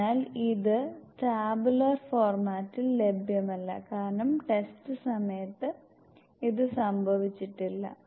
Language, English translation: Malayalam, So this is also not available in the tabular format because this has not been occurred during the test